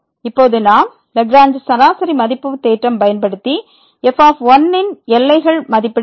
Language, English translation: Tamil, Now, we want to use the Lagrange mean value theorem to estimate the bounds on